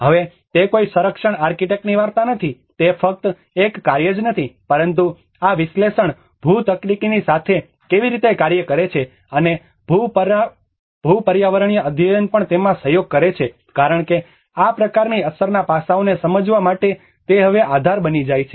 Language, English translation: Gujarati, Now, it is not a story of a conservation architect, it is not only a task but how this analysis works with the geotechnical and the geoenvironmental studies also collaborate in it because they becomes the base now in order to understand the impact aspects of this kind of case that is risk aspect